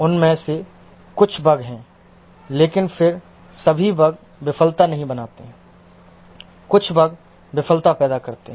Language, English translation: Hindi, Some of them are bugs but then all bugs don't create failure